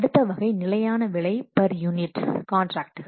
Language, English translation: Tamil, Then the next category is fixed price for unit delivered contracts